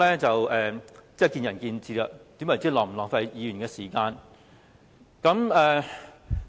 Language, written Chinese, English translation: Cantonese, 這是見仁見智的，何謂浪費議員的時間？, This is a judgment call . How to define wasting Members time?